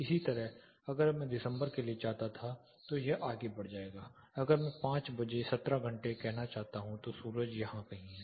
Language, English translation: Hindi, Similarly, if I wanted for December it would move on, if I wanted at say 5 pm, 17 hours the sun is somewhere here